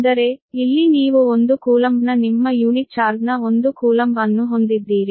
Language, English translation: Kannada, that means here you have one coulomb of your unit charge of one coulomb and you are bringing it